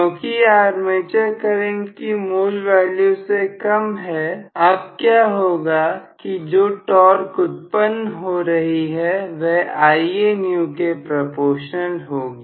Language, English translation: Hindi, Because it is now less than the original value of armature current, what is going to happen now is, the torque that is produced is going to be proportional to Ianew